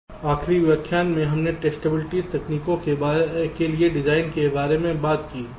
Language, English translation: Hindi, so in the last lecture we talked about the design for distribute technique